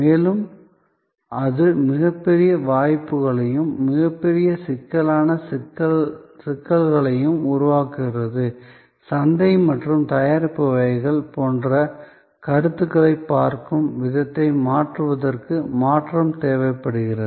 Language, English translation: Tamil, And that is creating tremendous opportunities as well as tremendous critical complexities and that is what, therefore necessitates the change to impact our way of looking at concepts like market and product categories